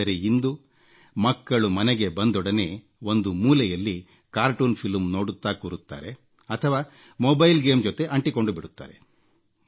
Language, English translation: Kannada, " Now the times are such that children, when they come home, they either start watching cartoons in a corner, or are glued to mobile games